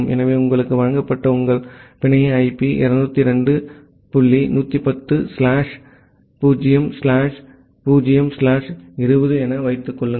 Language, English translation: Tamil, So, assume that your network IP that was given to you is 202 dot 110 slash 0 slash 0 slash 20